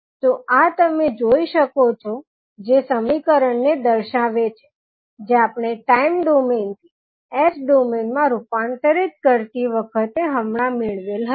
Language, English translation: Gujarati, So, this you can see that will represent the equation which we just derived while we were transforming time domain into s domain